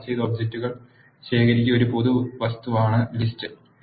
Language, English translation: Malayalam, List is a generic object consisting of ordered collection of objects